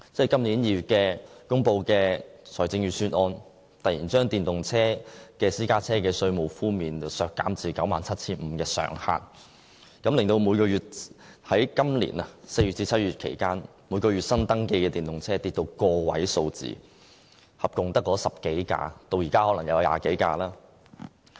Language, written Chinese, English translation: Cantonese, 今年2月公布的財政預算案突然將電動私家車首次登記稅的稅務寬免上限削減至 97,500 元，令今年4月至7月期間每月新登記的電動車跌至個位數字，一共只有10多部，可能至今有20多部。, In the Budget released this February it suddenly slashed the waiver ceiling of the first registration tax for electric private cars to 97,500 . Due to the reduction the number of newly - registered electric vehicles in the period from April to July this year nearly dropped to a single digit with only 10 - odd new electric vehicles . The figure may probably be some 20 vehicles now